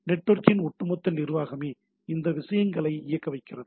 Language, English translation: Tamil, So it is the overall management of the network which makes these things running